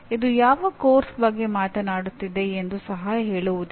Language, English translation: Kannada, It does not even say which course you are talking about